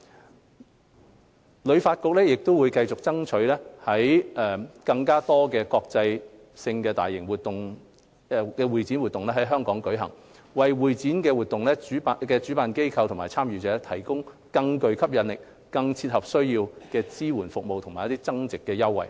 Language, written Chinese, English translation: Cantonese, 香港旅遊發展局會繼續爭取更多國際性大型會展活動在港舉行，為會展活動主辦機構及參加者提供更具吸引力、更切合需要的支援服務及增值優惠。, The Hong Kong Tourism Board HKTB will continue to bid for more large - scale international CE events to be held in Hong Kong by providing event organizers and participants with more attractive and targeted supporting services and value - added concessions